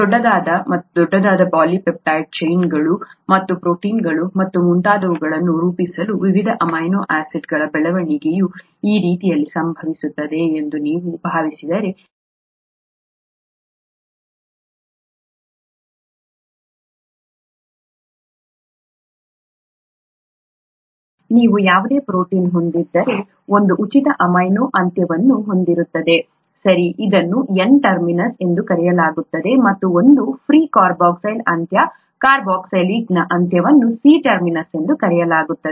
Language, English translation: Kannada, If you assume that the growth happens this way of various amino acids attaching to form larger and larger polypeptide chains and the proteins and so on, so you have any protein will have one free amino end, okay, which is called the N terminus, and one free carboxyl end, carboxylic acid end which is called the C terminus